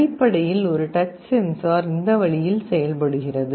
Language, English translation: Tamil, Essentially a touch sensor works in this way